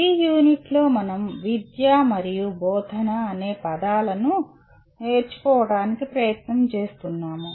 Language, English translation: Telugu, The unit is we are trying to look at the words education and teaching